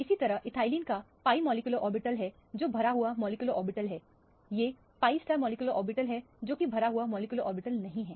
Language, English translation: Hindi, Similarly, this is pi molecular orbitals of ethylene which are bonded filled molecular orbitals, these are the pi star molecular orbital which are unfilled molecular orbital